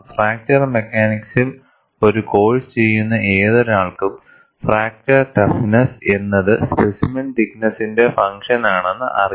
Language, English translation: Malayalam, Now, this is a standard knowledge, for anyone who does a course in fracture mechanics, he knows fracture toughness is function of a thickness of the specimen